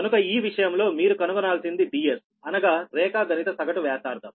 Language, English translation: Telugu, so in this case you have to find out d s, right, the geometric mean radius